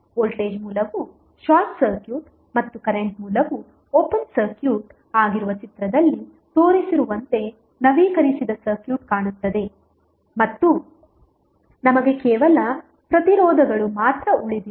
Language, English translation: Kannada, The updated circuit would look like as shown in the figure where voltage is voltage source is short circuited and current source is open circuited and we are left with only the resistances